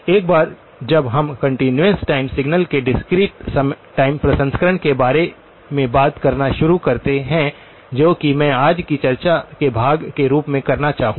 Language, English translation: Hindi, Once we start talking about the discrete time processing of continuous time signals which is what I would like to do in as part of today's discussion okay